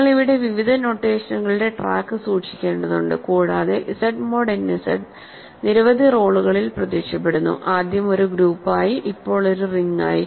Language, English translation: Malayalam, So, the you have to keep track of various notations here and Z mod n Z is appearing in several roles; first as a group, now as a ring